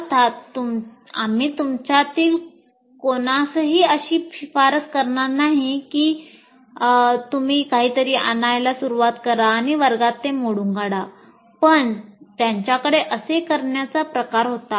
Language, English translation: Marathi, So, of course, you are not, we are not going to recommend to any of you that you should start bringing something and break it in the class, but he had his way of doing things